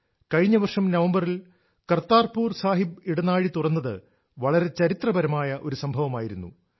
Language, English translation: Malayalam, Opening of the Kartarpur Sahib corridor in November last year was historic